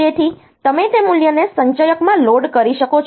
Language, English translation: Gujarati, So, you can load that value into accumulator